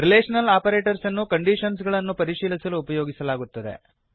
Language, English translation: Kannada, Relational operators are used to check for conditions